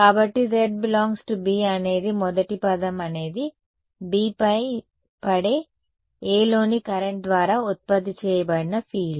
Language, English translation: Telugu, So, z belonging to B first term is the field produced by the current in A falling on B right